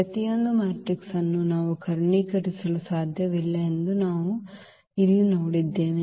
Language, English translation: Kannada, So, what we have seen here that every matrix we cannot diagonalize